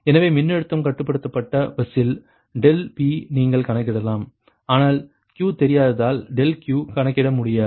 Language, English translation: Tamil, right, so, because in the voltage controlled bus, ah, delta p you can compute, but delta q you cannot compute because q is unknown